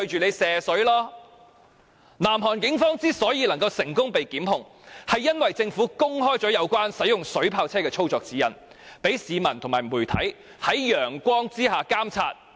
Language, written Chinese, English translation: Cantonese, 南韓警方最終被成功檢控，原因是政府公開了使用水炮車的操作指引，讓市民和媒體可以在陽光下監察。, Prosecution was successfully instituted against the South Korean Police because the Korean Government had made public the operation guidelines for using water cannon vehicles so that the public and the media were able to monitor the Police under the sun